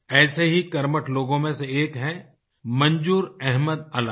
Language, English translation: Hindi, One such enterprising person is Manzoor Ahmad Alai